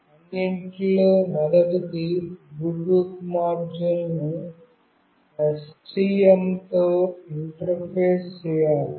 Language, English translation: Telugu, First of all the Bluetooth module have to be interfaced with the STM